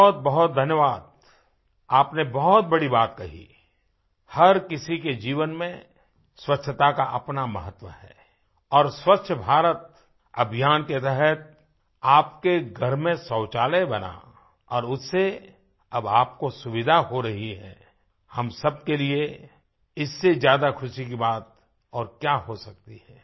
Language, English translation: Hindi, Many many thanks, you've made a significant remark that cleanliness has a specific meaning in every one's life and what could be a matter of immense joy for all of us than the fact that a toilet has been built in your house under the "Swachh Bharat Abhiyan" and that, all of you have the facility now